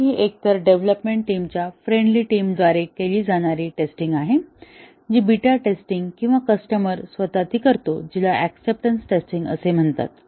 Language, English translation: Marathi, So, that is the test carried out either by the development team or a friendly set of teams, which is the beta testing or the customer himself, which is the acceptance testing